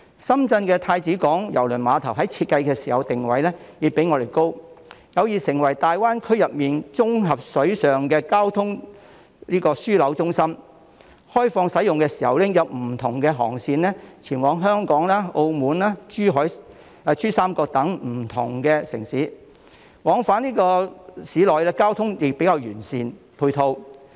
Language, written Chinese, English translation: Cantonese, 深圳太子灣郵輪母港在設計時的定位已較香港高，有意成為大灣區的綜合水上交通樞紐中心；開放使用時已經有不同航線前往香港、澳門、珠三角等不同城市，往返市內交通的配套亦比較完善。, The positioning of SZCH is already higher than Hong Kong in design with the intention of becoming a comprehensive waterborne transport hub centre of the Greater Bay Area; and since its commissioning there have already been many cruise routes to different cities such as Hong Kong Macao and the Pearl River Delta and the ancillary transport facilities to and from SZCH within Shenzhen City are also relatively well - developed